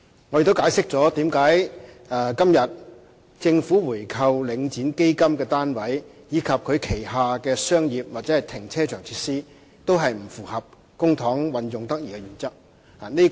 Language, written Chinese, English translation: Cantonese, 我亦解釋了為何今天政府購回領展基金單位，以及它旗下的商業或停車場設施，皆不符合公帑運用得宜的原則。, I have also explained why it is not in compliance with the principle of prudent use of public funds should the Government buy back Link REIT fund units and its commercial or car parking facilities today